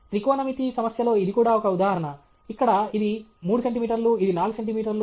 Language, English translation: Telugu, This is also an instance in a trigonometry problem, where this is 3 centimeters, this is 4 centimeters